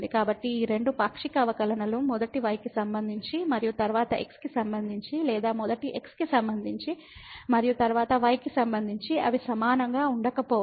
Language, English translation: Telugu, So, what we have observed that these 2 partial derivatives first with respect to y and then with respect to or first with respect to and then with respect to they may not be equal